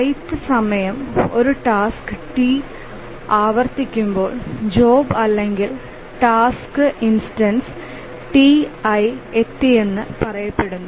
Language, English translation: Malayalam, And when the iath time the task t recurs, we say that the job or task instance t, said to have arrived